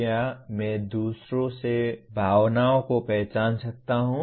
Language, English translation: Hindi, Can I recognize the emotions in others